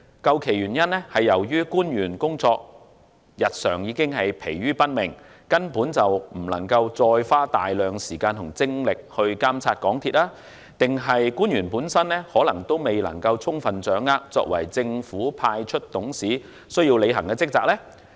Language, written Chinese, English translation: Cantonese, 究其原因，是官員日常已疲於奔命，未能再花大量的時間和精力監察港鐵公司，或是官員仍未能充分掌握作為政府派出董事需要履行的職責？, The reasons behind were the already hectic and taxing schedules of these public officers which have prevented them from spending a substantial amount of time and energy on supervising MTRCL or that the officers have yet to fully grasp the responsibilities as government - appointed directors?